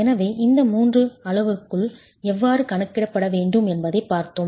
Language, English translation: Tamil, So, we have seen how three of these parameters have to be calculated